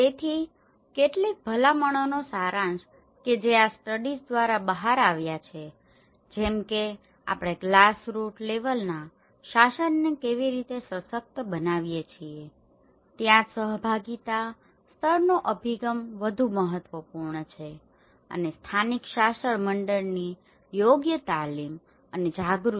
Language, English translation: Gujarati, So, gist of some of the recommendations which came out through these studies like how we can empower the glass root level governance this is where the participatory level approaches are more important and also the appropriate training and awareness of local governing bodies